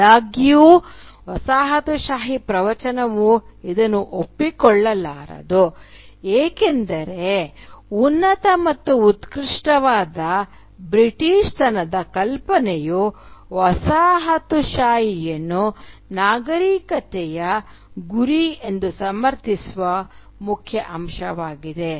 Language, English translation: Kannada, However, the colonial discourse cannot admit this because the notion of a superior and exalted Britishness is at the core of its justification of colonialism as a civilising mission